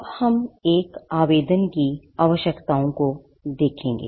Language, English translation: Hindi, Now, we will look at the Requirements of an Application